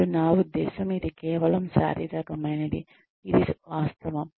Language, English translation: Telugu, And, I mean, it is just a physiological fact